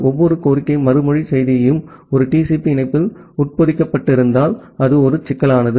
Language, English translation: Tamil, And if every request response message is embedded in a TCP connection then that is a problematic